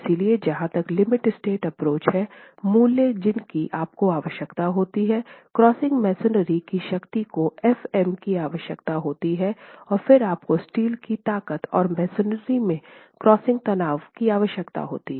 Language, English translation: Hindi, So as far as the limit state approach, the values that you would require, the crushing strength of masonry is required, f prime m, and then you need the yield strength of steel and the strain in masonry, crushing strain in masonry